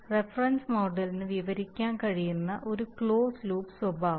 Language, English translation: Malayalam, You have a closed loop desired behavior can be described by reference model